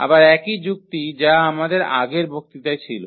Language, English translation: Bengali, Again the same argument which we had in the previous lectures